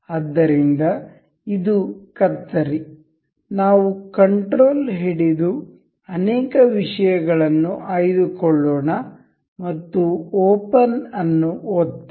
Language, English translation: Kannada, So say this scissor, we will control select multiple things and click on open